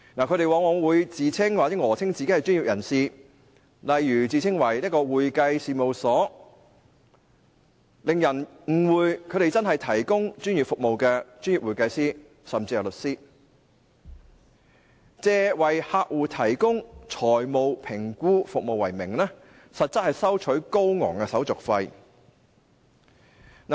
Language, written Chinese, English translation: Cantonese, 他們往往自稱或訛稱自己是專業人士，例如自稱為會計事務所，令人誤會他們真的是提供專業服務的專業會計師，甚至是律師，以為客戶提供財務評估服務為名，收取高昂的手續費為實。, Very often they would call themselves or claim to be professionals . For instance they might claim that they are operating accounting firms thereby giving people a wrong impression that they are really professional accountants providing professional services or even lawyers . However they will charge exorbitant service fees on the pretext of providing financial evaluation services for their clients